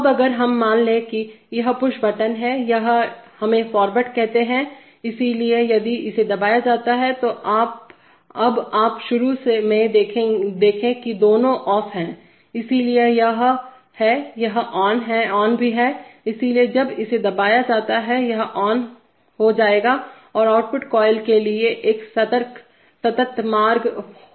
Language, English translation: Hindi, Now if we pressed, suppose this is the push button, this is let us say forward, so if this is pressed, now you see initially both are off, so therefore this is also on and this is also on, so when this is pressed this will become on, and there will be a continuous path to the output coil